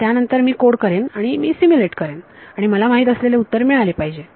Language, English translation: Marathi, So, then I code up and I simulate and I should get the known answer